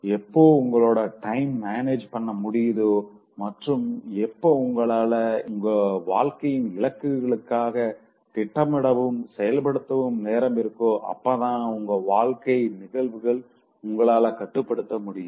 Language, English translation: Tamil, Only when you manage time and then you have huge chunks of time left for planning and executing the other goals of your life you will be able to take control of the events of your life